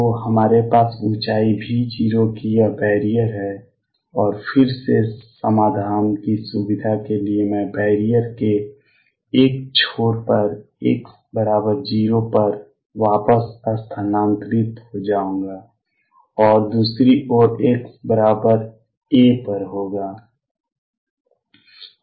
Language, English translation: Hindi, So, what we have is this barrier of height V 0 and again to facilitate solutions I will shift back to one end of the barrier being at x equals 0, and the other hand being at x equals a